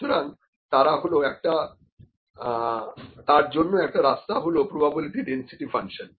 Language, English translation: Bengali, So, one of the ways is the probability density function